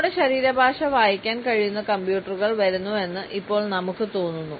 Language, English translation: Malayalam, And now we feel that computers are coming, which can read our body language